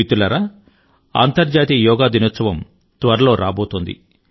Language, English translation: Telugu, 'International Yoga Day' is arriving soon